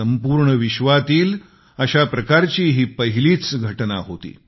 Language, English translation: Marathi, This was a first of its kind event in the entire world